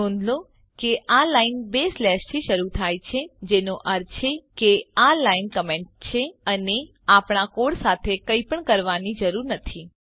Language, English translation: Gujarati, Notice that this line begins with two slashes which means this line is the comment and has nothing to do with our code